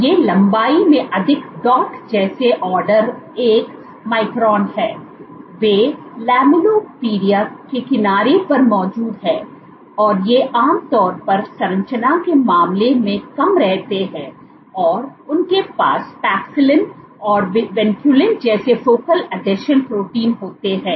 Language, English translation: Hindi, These are more dot like order 1 micron in length they are present at the edge of the lamellipodia, and these are typically short lived in terms of composition they have focal adhesion proteins like Paxillin and Vinculin present in them